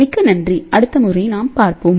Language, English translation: Tamil, Thank you very much and we will see you next time